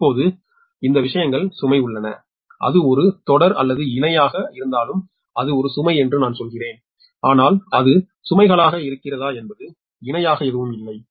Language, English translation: Tamil, right now, this things are there load, actually, nothing is say that whether it is a series or parallel, right, there is, i mean it is a load, but whether it is loads are series in parallel, nothing is said